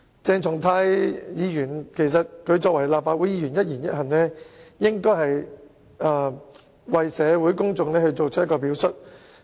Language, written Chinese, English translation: Cantonese, 作為立法會議員，鄭松泰議員的一言一行，應該為社會公眾起着一個表率作用。, This is absolutely intolerable . As a Member of the Legislative Council Dr CHENG Chung - tais words and conduct should set an example for the general public